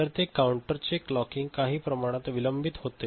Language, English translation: Marathi, So, that the clocking of the counter is staggered is delayed by some amount